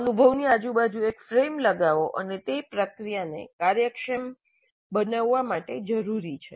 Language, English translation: Gujarati, So you put a frame around the experience and that is necessary to make the process efficient